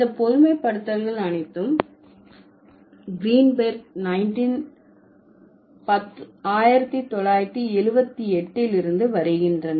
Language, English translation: Tamil, All of these generalizations are coming from Greenberg, 1978